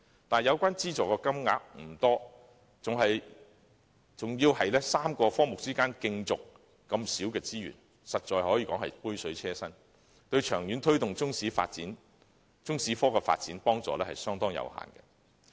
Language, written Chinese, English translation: Cantonese, 但是，有關資助金額不多，還要由3個科目分攤這小量的資助，實在是杯水車薪，對於長遠推動中史科的發展，幫助相當有限。, However not only is the amount of subsidy quite small but such a small amount of subsidy has to be shared among the three subjects . Like a drop in the ocean its assistance to promoting the development of the Chinese History subject in the long term is quite limited